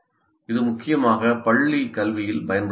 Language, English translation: Tamil, It is mainly used in school education